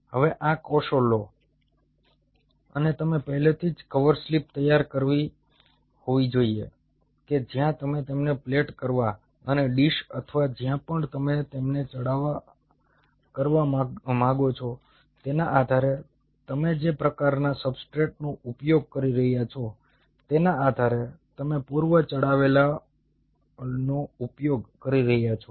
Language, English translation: Gujarati, now take these cells and you should have already prepared the cover slips where you want to plate them, or the dish, or wherever you want to plate them, coated with, depending on the kind of substrate you are using, pre coated and, by the way, this pre coated substrate has to be done